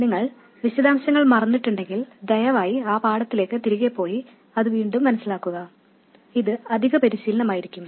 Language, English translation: Malayalam, If you have forgotten the details please go back to that lesson and work it out again it will just be additional practice